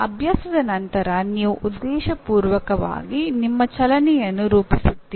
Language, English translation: Kannada, Then after that practice, you deliberately model that model your movements